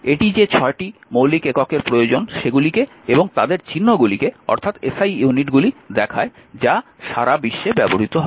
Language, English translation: Bengali, 1 it shows the 6 principal units you needs and there symbols the SI units are use through the throughout the world right